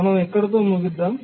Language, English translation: Telugu, Let us get started with that